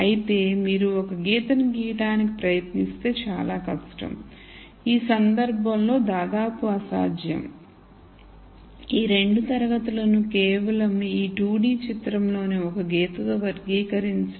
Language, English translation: Telugu, However you try to draw a line it would be very difficult ,almost impossible in this case, to classify these 2 classes with just a line in this 2 D picture